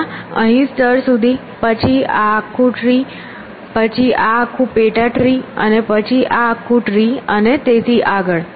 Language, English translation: Gujarati, First up to level s here then this whole tree then this whole sub tree then this whole tree and so, on